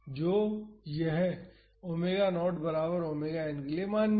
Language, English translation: Hindi, So, this is valid for omega naught equal to omega n